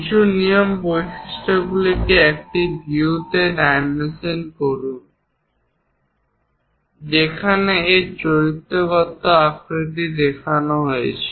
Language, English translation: Bengali, Few rules, dimension the feature in a view where its characteristic shape is shown